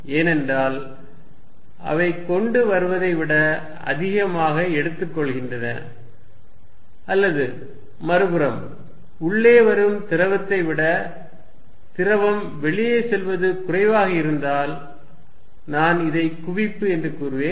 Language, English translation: Tamil, Because, they take away much more than they are bringing in or the other hand, if fluid going out is less then fluid coming in I will say this convergent